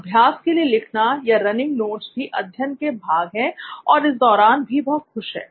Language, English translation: Hindi, Then writing for practice or running notes is also happy it is part of his learning activity